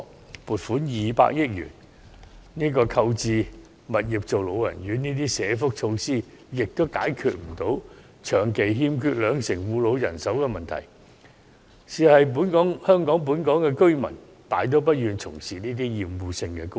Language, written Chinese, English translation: Cantonese, 政府撥款200億元購置物業作為老人院等社福措施，也解決不了長期欠缺兩成護老人手的問題，因為本港居民大多數都不願從事這些厭惡性工種。, Another 200 million has been earmarked for social welfare measures including the acquisition of properties for elderly homes but such measures cannot help resolve the long - standing problem of 20 % shortage in carers for the elderly as most local workers are unwilling to take up obnoxious jobs